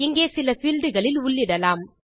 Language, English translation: Tamil, Lets type a couple of fields here